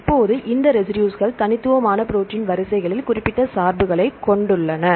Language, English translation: Tamil, Now, these residues have specific bias in the unique protein sequences